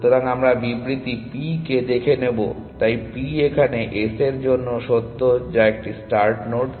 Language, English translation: Bengali, So, we call the statement p; so p is true for s which is a start node